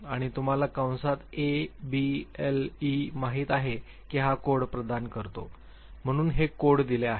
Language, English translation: Marathi, And you can see in the bracket A B L E this is the code that just it provides, so these codes are given